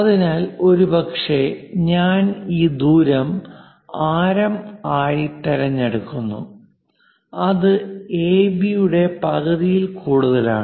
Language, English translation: Malayalam, So, perhaps I pick this much radius, which is more than half of AB